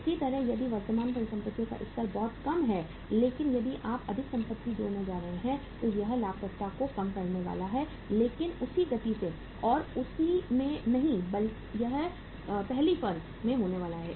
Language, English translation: Hindi, Similarly, if the level of current assets is very low but if you are going to add up more assets so that is going to reduce the profitability but not at the same pace and in the same magnitude as it is going to happen in the first firm